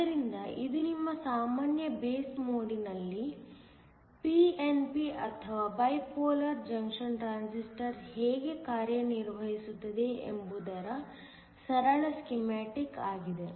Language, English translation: Kannada, So, this is just a simple schematic of how a pnp or how a bipolar junction transistor works in your common base mode